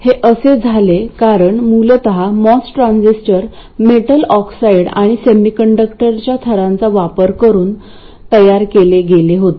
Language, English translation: Marathi, Now this was because originally moss transistors were made using layers of metal oxide and semiconductor